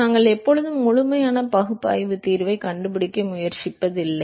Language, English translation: Tamil, We are not always trying to find complete analytical solution